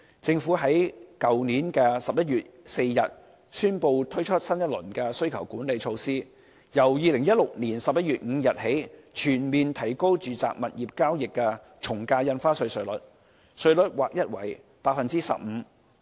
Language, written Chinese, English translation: Cantonese, 政府在去年11月4日宣布推出新一輪需求管理措施，由2016年11月5日起全面提高住宅物業交易的從價印花稅稅率，稅率劃一為 15%。, The Government announced on 4 November last year a new round of demand - side management measures . From 5 November 2016 the ad valorem stamp duty chargeable on transactions for residential property will be increased to a flat rate of 15 %